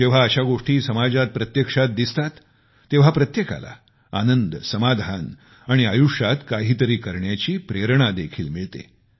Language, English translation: Marathi, And when such things are witnessed firsthand in the society, then everyone gets elated, derives satisfaction and is infused with motivation to do something in life